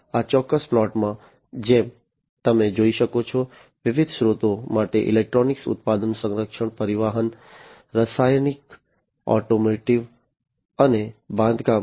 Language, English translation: Gujarati, And in this particular plot, as you can see, for different sectors electronics, manufacturing, defense, transportation, chemical, automotive, and construction